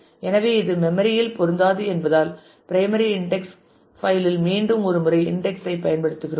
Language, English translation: Tamil, So, that it does not fit in memory then we simply apply the notion of indexing once again on the primary index file itself